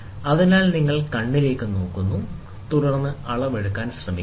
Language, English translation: Malayalam, So, you look at the eye, and then try to take the reading